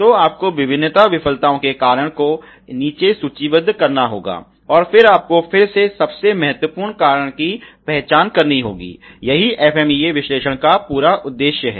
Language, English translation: Hindi, So, you have to list down the cause of various a failures, and then you will have to again identify the most important cause, that is the whole purpose of the FMEA analysis